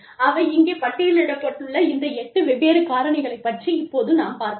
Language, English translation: Tamil, We look at these, different 8 factors, that have been listed here